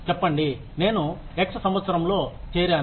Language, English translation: Telugu, Say, I joined in the year x